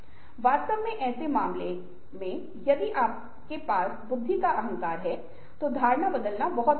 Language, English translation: Hindi, in fact, in cases if you have the arrogance of intelligence, changing perception is very difficult